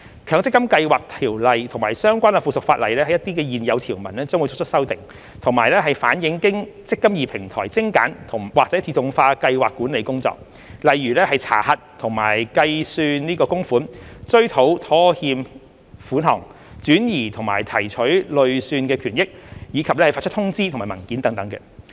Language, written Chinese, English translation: Cantonese, 《強積金計劃條例》及相關附屬法例的一些現有條文將會作出修訂，以反映經"積金易"平台精簡或自動化的計劃管理工作，例如查核和計算供款、追討拖欠款項、轉移和提取累算權益，以及發出通知和文件等。, Certain existing provisions of MPFSO and related subsidiary legislation will be amended to reflect the streamlined or automated scheme administration workflow via the eMPF Platform such as contribution checking and calculation default contribution recovery; transfer and withdrawal of accrued benefits of scheme members and issuing notices and documents etc